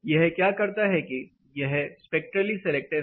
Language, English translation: Hindi, What this does is this is spectrally selective